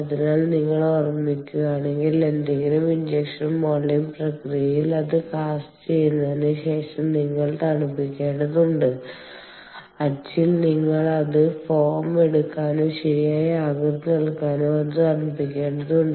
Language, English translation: Malayalam, so, if you recall, in any injection molding process, you need to cool down after, after it has been cast in the mold, you need to cool it down so that it can take the form or and shape right